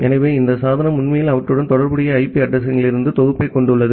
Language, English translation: Tamil, So, this device is actually having a pool of IP addresses associated with them